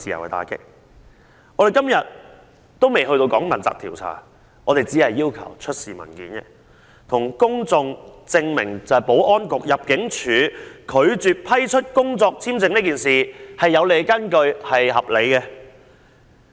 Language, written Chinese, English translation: Cantonese, 我們至今仍未談到問責及調查，我們只是要求當局出示文件，以便向公眾證明保安局及入境處拒絕批出工作簽證是有根據和合理的。, We have so far not even touched on accountability and investigation . We have only requested the authorities to produce documents to prove to the public that the Security Bureau and the Immigration Department have made a grounded and reasonable decision in rejecting the application for employment visa